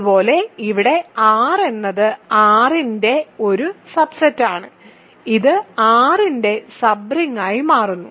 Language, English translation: Malayalam, Similarly, here R is a subset of R, it happens to be sub ring of R